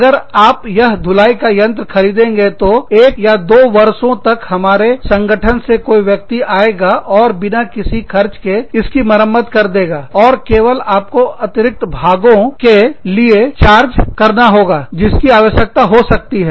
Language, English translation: Hindi, I will, if you buy this washing machine, you will, somebody from our organization, will come and repair it for you, free of cost, for a period of one year, or two years, and will only charge you for the additional parts, that may be required